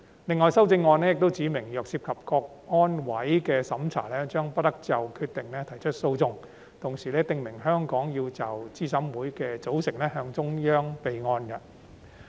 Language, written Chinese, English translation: Cantonese, 另外修正案又指明，若涉及香港國安委的審查，將不得就決定提出訴訟，同時訂明香港要就資審會組成向中央政府備案。, The amendments also stipulate that no legal proceedings may be instituted in respect of certain review decisions made involving CSNS . Moreover Hong Kong should report the composition of CERC to the Central Peoples Government for the record